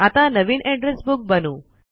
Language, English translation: Marathi, Lets create a new Address Book